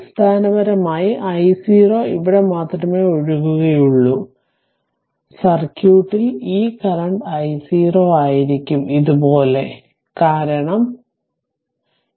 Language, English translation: Malayalam, So, basically I 0 will be flowing only here, so that means, circuit will be this current I 0 will be like this because this is also then this is also will not be there